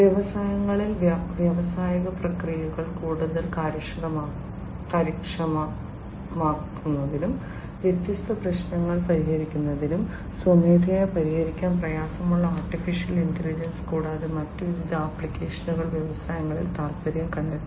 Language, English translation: Malayalam, In the industries also for making the industrial processes much more efficient, to solve different problems, which manually was difficult to be solved AI and different other applications have found interest in the industries